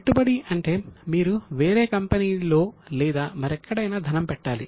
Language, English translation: Telugu, Investment means you have to give it money to some other company or somewhere else